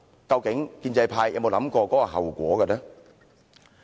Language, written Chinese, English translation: Cantonese, 究竟建制派有沒有想到這後果？, Is the pro - establishment camp aware of this repercussion?